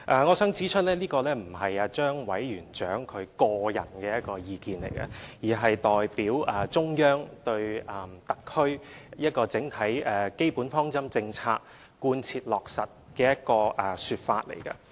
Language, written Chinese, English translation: Cantonese, 我想指出，這並非張委員長的個人意見，而是他代表中央就特區整體基本方針政策貫徹落實的說法。, I would like to point out that such a remark was not the personal opinions of Chairman ZHANG but rather a remark that he made on behalf of the Central Authorities regarding the thorough implementation of Chinas overall basic policies regarding the HKSAR